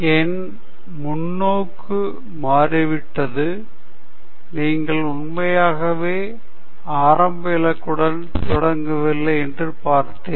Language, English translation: Tamil, My perspective has changed in that manner that I have seen that you don’t actually start with the fixed goal